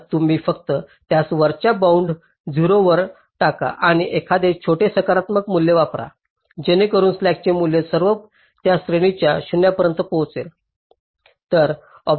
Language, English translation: Marathi, so either you just upper bound it to zero or use a small positive value so that the slack values all reach close to zero within that range